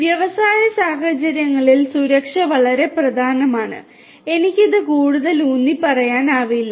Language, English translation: Malayalam, Safety is very important in industry scenarios and I cannot emphasize this more